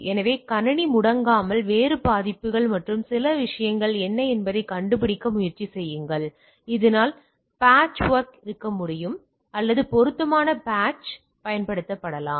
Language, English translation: Tamil, So, that the system is not goes off rather try to find out that what are the different vulnerabilities and other things so that the patchwork can be or appropriate patches can be deployed